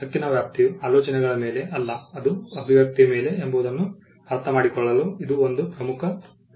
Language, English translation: Kannada, So, this is a key distinction to understand that the scope of the right is not on the ideas, but on the expression